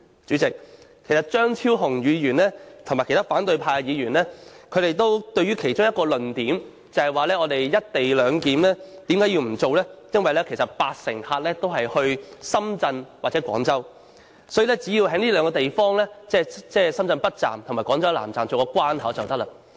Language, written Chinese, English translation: Cantonese, 主席，張超雄議員和其他反對派議員堅持不實施"一地兩檢"的其中一個論點是，因為八成乘客也是來往香港與深圳或廣州，因此，只要在這兩個地方，即深圳北站和廣州南站設置關口便可以。, President one of the arguments of Dr Fernando CHEUNG and other Members of the opposition camp who stand firm for not implementing the co - location arrangement at West Kowloon Station is that since 80 % of the passengers are travelling between Hong Kong and Shenzhen or Guangzhou the setting up of checkpoints at these two places or at Shenzhen North Railway Station and Guangzhou South Railway Station to be exact will suffice